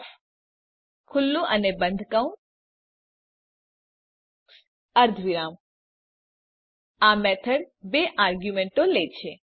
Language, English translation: Gujarati, copyOf(marks, 5) This method takes two arguments